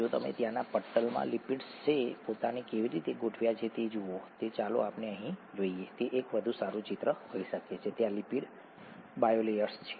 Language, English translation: Gujarati, The, if you look at the way the lipids have organised themselves in the membrane there are, let’s go here it might be a better picture; there are lipid bilayers